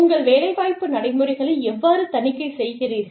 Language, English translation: Tamil, How do you audit, your employment practices